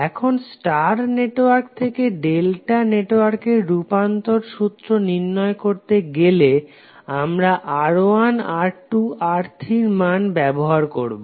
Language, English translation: Bengali, Now, to obtain the conversion formulas for transforming a star network into an equivalent delta network, we use the value of R1, R2, R3